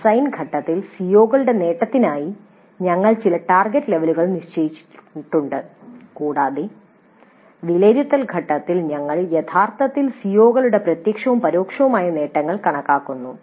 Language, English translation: Malayalam, So, during the design phase we have set certain target levels for the attainment of the COs and in the evaluate phase we are actually computing the direct and indirect attainment of COs